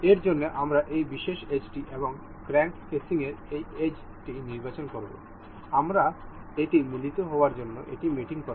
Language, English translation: Bengali, For this, we will select the this particular edge and the this edge of the crank casing, we will mate it up to coincide